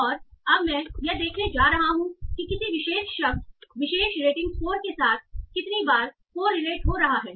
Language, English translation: Hindi, And now I want to see how often or how much correlated a particular word is with a particular rating score